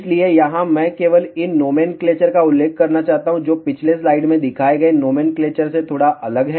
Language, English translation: Hindi, So, here I just want to mention these nomenclatures are slightly different than the nomenclatures had shown in the previous slide